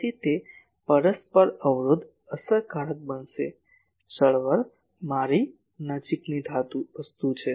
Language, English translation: Gujarati, So, that mutual impedance will get effected, the movement I have a nearby thing